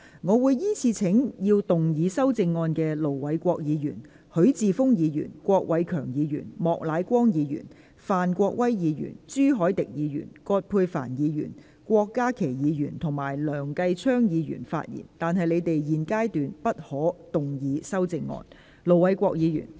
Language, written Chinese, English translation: Cantonese, 我會依次請要動議修正案的盧偉國議員、許智峯議員、郭偉强議員、莫乃光議員、范國威議員、朱凱廸議員、葛珮帆議員、郭家麒議員及梁繼昌議員發言，但他們在現階段不可動議修正案。, I will call upon Members who will move the amendments to speak in the following order Ir Dr LO Wai - kwok Mr HUI Chi - fung Mr KWOK Wai - keung Mr Charles Peter MOK Mr Gary FAN Mr CHU Hoi - dick Dr Elizabeth QUAT Dr KWOK Ka - ki and Mr Kenneth LEUNG but they may not move amendments at this stage